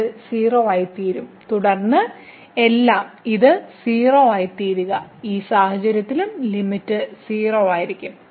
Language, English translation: Malayalam, So, this will become 0 and then everything will become this 0, so limit will be 0 in that case also